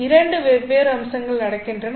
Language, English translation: Tamil, So there are two different aspects going on